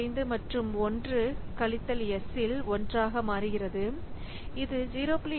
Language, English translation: Tamil, 25 plus 1 minus s that is 0